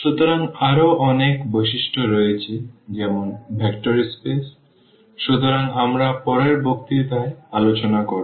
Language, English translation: Bengali, So, there are so many other properties which are vector space has; so, that we will discuss exactly in the next lecture